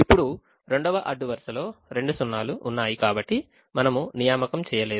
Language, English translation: Telugu, now the second row had at that point two zeros, so we did not make an assignment